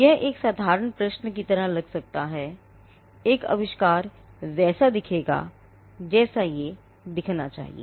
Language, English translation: Hindi, This may look like a simple question; an invention will look how it is meant to look